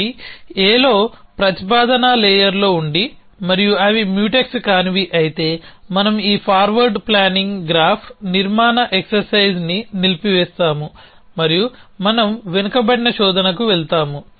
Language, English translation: Telugu, If they happen be in A, in a proposition layer and they are non Mutex, then we stop this forward planning graph construction exercise and we go to a backward search